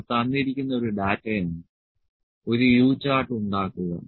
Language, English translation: Malayalam, This is a given data make a U chart